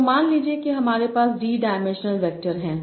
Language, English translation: Hindi, So suppose I have D dimensional vectors